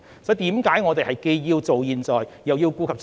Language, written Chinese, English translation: Cantonese, 所以，我們既要做好現在，又要顧及將來。, Hence we need to properly deal with the present and prepare for the future